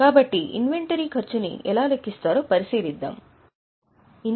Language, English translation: Telugu, So, now we will look at what goes into the cost of inventory